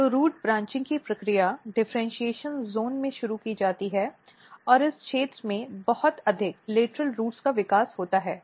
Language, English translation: Hindi, So, the process of root branching is visually initiated in the differentiation zone and a lot of lateral roots are developed in this region